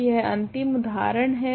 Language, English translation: Hindi, So, this is another example